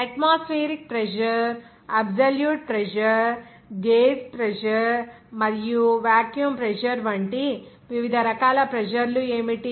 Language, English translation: Telugu, What are the different types of pressures atmospheric pressure, absolute pressure, gauge pressure, and vacuum pressure